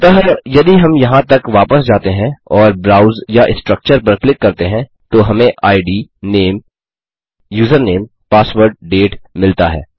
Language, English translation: Hindi, So if we go back to here and click on browse or structure that one we got id, name, username, password, date